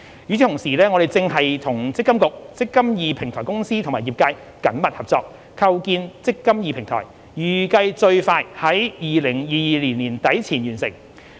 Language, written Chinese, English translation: Cantonese, 與此同時，我們正與積金局、積金易平台公司和業界緊密合作，構建"積金易"平台，預計最快於2022年年底前完成。, Meanwhile we are working closely with MPFA eMPF Platform Company and the industry to develop the eMPF Platform which is expected to be completed by the end of 2022 at the earliest